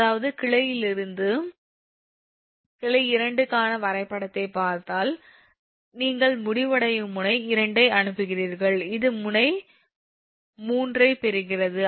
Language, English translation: Tamil, if you look at the diagram for branch two, this is: you are sending a, sending in node two, this is receiving in node three